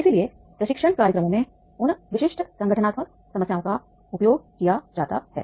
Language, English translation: Hindi, So therefore in the training programs these are used, those specific organizational problems